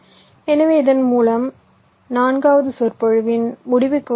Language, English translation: Tamil, ok, so with this we come to the end of ah, the forth lecture